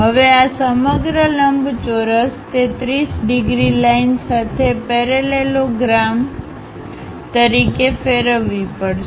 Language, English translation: Gujarati, Now, this entire rectangle has to be rotated as a parallelogram with that 30 degrees line